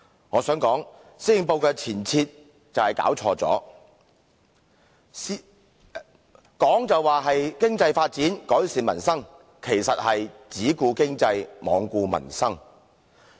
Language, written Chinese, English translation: Cantonese, 我想說施政報告就是弄錯了前提，口就說"發展經濟，改善民生"，其實是"只顧經濟，罔顧民生"。, What I mean is that he has set the direction of the Policy Address wrong . The Policy address seems to advocates Developing the Economy and Improving Peoples Livelihood but it actually advocates Developing only the Economy and Ignoring Peoples Livelihood